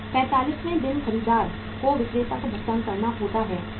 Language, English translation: Hindi, On the 45th day the buyer is supposed to make the payment to the seller, one